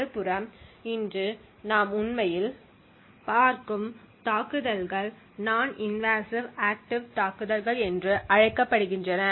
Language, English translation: Tamil, On the other hand the attacks that we would actually look at today are known as non invasive active attacks